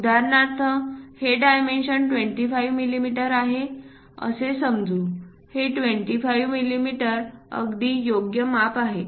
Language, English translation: Marathi, For example, let us consider this dimension is 25 mm, this one 25 mm is correct fit